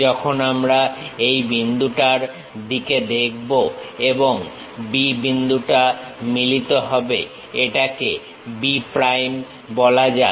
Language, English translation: Bengali, When we are looking at this this point and B point coincides, let us call B prime